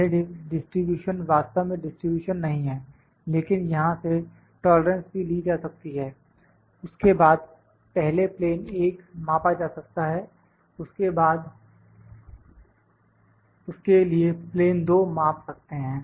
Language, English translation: Hindi, This distribution not exactly distribution, but the tolerance is can also be obtained from here then plane 1 be measured first then we measured plane 2 dimension for that